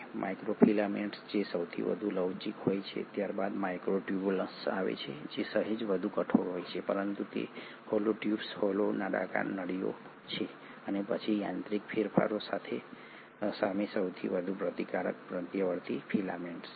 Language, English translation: Gujarati, It has 3 different kinds of components; the microfilaments which are the most flexible ones, followed by the microtubules which are slightly more rigid but they are hollow tubes, hollow cylindrical tubes, and then the most resistant to mechanical changes are the intermediary filaments